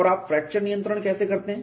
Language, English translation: Hindi, And how do you do fracture control